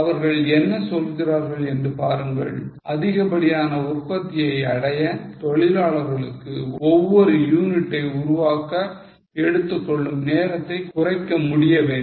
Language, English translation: Tamil, See, they are saying that in order to achieve extra production, workforce must be able to reduce the time taken to make each unit